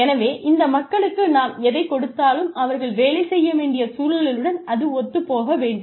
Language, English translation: Tamil, So, whatever we give to these people, has to be in line with the environment, that they are supposed to work in